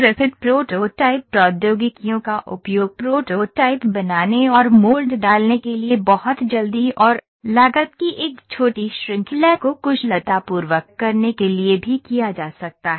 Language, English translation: Hindi, Rapid prototyping technologies also can be used to build prototypes and mold inserts a small series of very quickly and cost efficiently